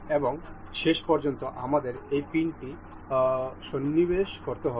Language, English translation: Bengali, And in the end we, can we have to insert this pin